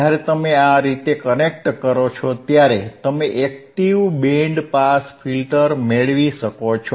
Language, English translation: Gujarati, wWhen you connect like this, you can get an active band pass filter